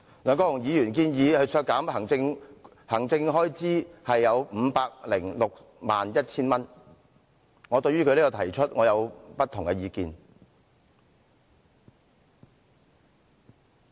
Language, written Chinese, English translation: Cantonese, 對於梁議員建議削減該分目全年預算開支 5,061,000 元的修正案，我持不同意見。, I disagree to Mr LEUNGs Amendment which proposes to reduce the total annual estimated expenditure of 5,061,000 for this subhead